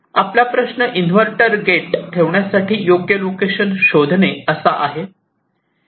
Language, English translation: Marathi, now our problem is to find out the best location to place this in invert at this gate